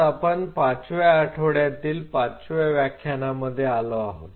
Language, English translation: Marathi, So, we are into week 5 lecture 5